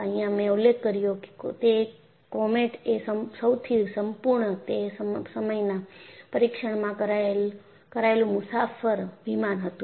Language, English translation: Gujarati, As I mentioned, comet was the most thoroughly tested passenger plane, ever built at that time